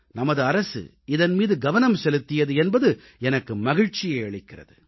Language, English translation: Tamil, And I'm glad that our government paid heed to this matter